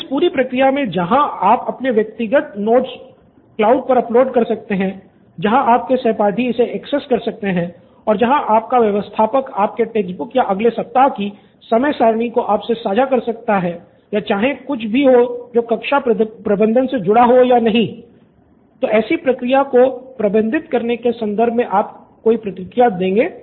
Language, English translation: Hindi, So in this entire process while you uploading your personal notes into the cloud where your classmates can access it or your administrator himself or herself putting in the text book or sharing your next week’s timetable or anything irrespective of class management